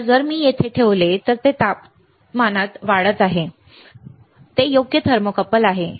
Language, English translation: Marathi, Now, if I keep it here it is in temperature, this is a thermocouple right